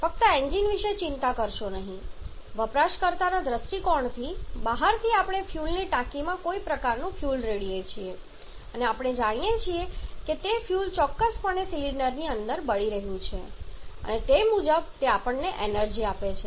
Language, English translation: Gujarati, But how we run automobiles from outside just do not bother about the engine from outside from user point of view we pour some kind of fuel in the fuel tank and we know that that fuel definitely is burning inside the cylinder and accordingly it is giving us an energy